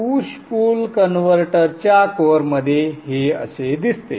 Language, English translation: Marathi, So this is how the push pull converter will operate